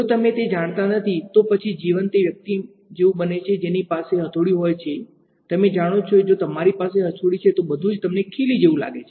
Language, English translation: Gujarati, If you do not know that, then life becomes like that person who has a hammer; you know if you have a hammer everything, you see looks like a nail right